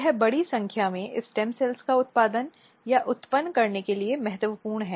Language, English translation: Hindi, So, this is very important to produce or to generate a large number of stem cells